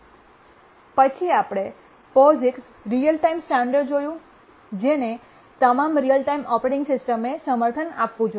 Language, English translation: Gujarati, And then we looked at a standard, the POIX real time standard, which all real time operating systems must support